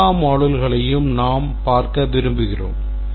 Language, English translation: Tamil, We have to take across all these modules